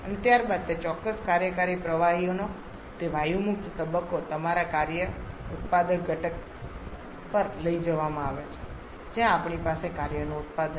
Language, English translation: Gujarati, And subsequently that gaseous phase of that particular working fluid is taken to your work producing component where we have the or where we have the work output